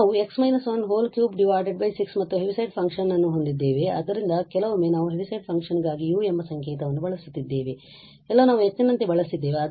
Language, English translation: Kannada, So, we have x minus 1 cube by 6 and the Heaviside function so sometimes we are using the notation u for the Heaviside function somewhere we have used like h